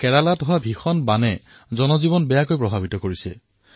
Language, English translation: Assamese, We just saw how the terrible floods in Kerala have affected human lives